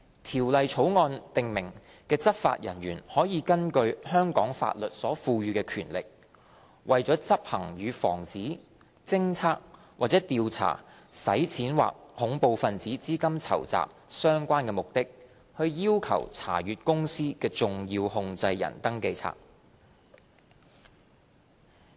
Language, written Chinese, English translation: Cantonese, 《條例草案》訂明的執法人員可以根據香港法律所賦予的權力，為執行與防止、偵測或調查洗錢或恐怖分子資金籌集相關的目的，要求查閱公司的"重要控制人登記冊"。, Law enforcement officers specified in the Bill may under the powers conferred by the law of Hong Kong demand to inspect the SCR of a company for the purpose of performing a function relating to the prevention detection or investigation of money laundering or terrorist financing